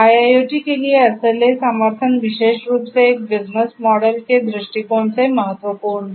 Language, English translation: Hindi, So, SLA support for IIoT is crucial particularly from a business model point of view